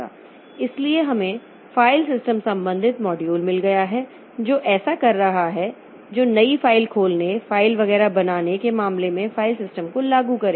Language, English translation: Hindi, So, we have got file systems related modules which will be doing this which will be implementing file system in terms of creating new file, opening file, etc